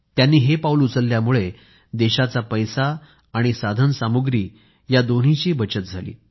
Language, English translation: Marathi, This effort of his resulted in saving of money as well as of resources